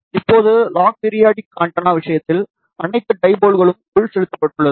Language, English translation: Tamil, Now, in case of log periodic antenna, all the dipoles are fed